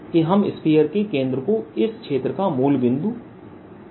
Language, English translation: Hindi, let's take the center to be center of this sphere, to be the origin